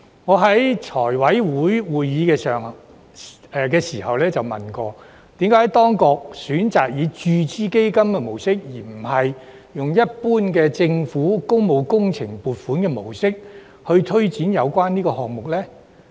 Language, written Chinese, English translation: Cantonese, 我在財委會會議上曾詢問，為何當局選擇以注資基金的模式，而不是用一般政府工務工程撥款的模式來推展有關項目。, I have asked at the FC meeting about the reason for taking forward the project in the form of capital injection instead of funding allocation like the way they handle general public works projects